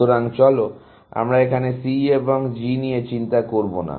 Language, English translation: Bengali, So, let us not worry about C and G